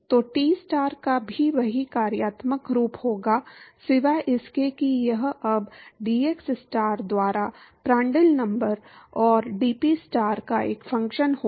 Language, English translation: Hindi, So, Tstar will also have the same functional form, except that it will now be a function of Prandtl number and dPstar by dxstar